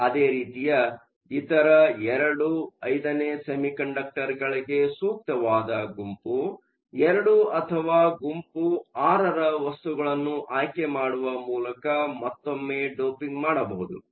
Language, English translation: Kannada, Similarly for other II V semiconductors can once again have doping by choosing the appropriate group II or group VI materials